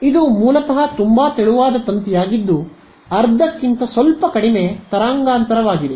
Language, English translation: Kannada, So, it is basically a very thin wired almost half a wavelength, but slightly less ok